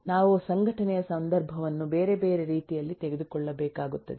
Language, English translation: Kannada, we will need to take context of organisation in multiple other ways